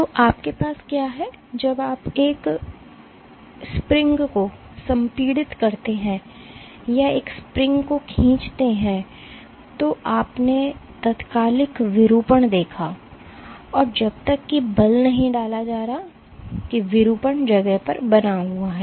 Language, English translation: Hindi, So, what you have is when you compress a spring or stretch a spring, you observed instantaneous deformation and till the force is being exerted that deformation remains in place